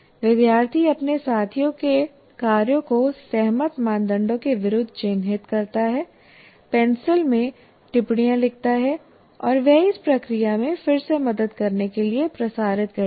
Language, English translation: Hindi, Student marks mark their peers work against the criteria agreed, writing comments in pencil, and she circulates to help this process again